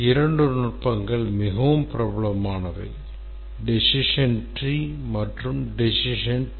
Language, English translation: Tamil, Two techniques are very popular, decision trees and decision tables